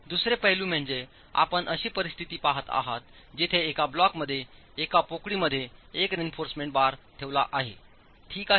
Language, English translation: Marathi, The other aspect is you are seeing a situation where in one block in one of the cavities one reinforcement bar is placed